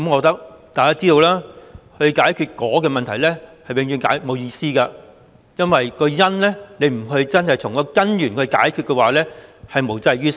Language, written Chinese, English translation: Cantonese, 大家也知道，要解決"果"的問題，是永遠沒意思的，因為不真正從根源解決"因"，是無濟於事的。, As we all know it is never meaningful to solve the problems that are consequences because it helps nothing if we do not really tackle the causes from the root